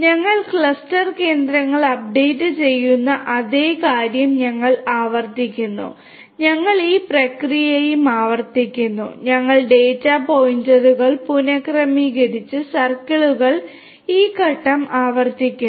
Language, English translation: Malayalam, We repeat the same thing we update the clusters update the not the cluster, but the cluster centers we update the cluster centers and we repeat this process likewise and we reassign the data points and repeat this step in circles